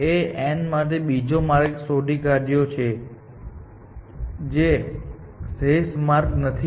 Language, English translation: Gujarati, We are assuming A star has found some other path to n, which is not the optimal path